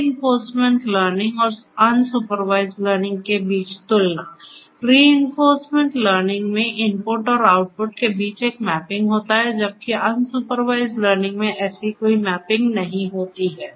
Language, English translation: Hindi, Comparison between the reinforcement learning and unsupervised; in reinforcement learning there is a mapping between the input and the output whereas, in unsupervised learning there is no such mapping